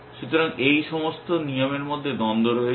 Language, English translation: Bengali, So, there is a conflict between all these rules